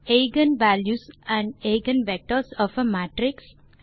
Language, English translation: Tamil, eigen values and eigen vectors of a matrix